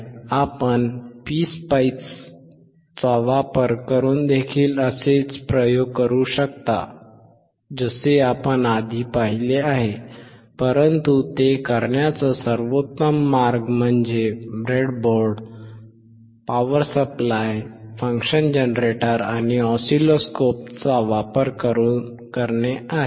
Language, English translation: Marathi, You can also do similar experiment using PSpice as we have seen earlier, but the best way of doing it is using breadboard, power supply, function generator, and oscilloscope